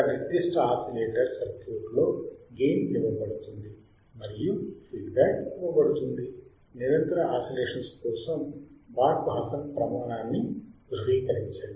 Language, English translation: Telugu, In a certain oscillator circuit, the gain is given and the feedback is given, verify Barkhausen criterion for sustained oscillation